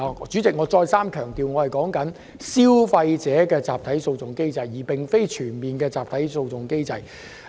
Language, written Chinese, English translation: Cantonese, 主席，我強調，我說的是消費者集體訴訟機制，而非全面集體訴訟機制。, President I stress that I am talking about a class action mechanism for consumers not a comprehensive class action regime